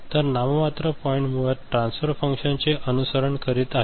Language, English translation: Marathi, So, nominal gain points is basically following the transfer function right